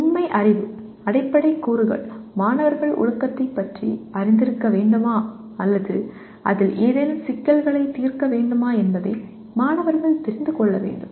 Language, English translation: Tamil, Factual Knowledge Basic elements students must know if they are to be acquainted with the discipline or solve any problems in it